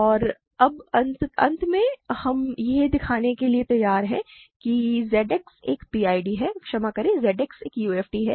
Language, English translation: Hindi, And now finally, we are ready to show that Z X is a PID sorry Z X is a UFD